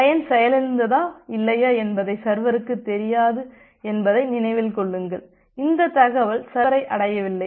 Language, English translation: Tamil, Because remember that the server does not know whether the client has been crashed or not, that information has not reached to the server